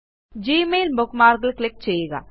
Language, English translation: Malayalam, Click on the Gmail bookmark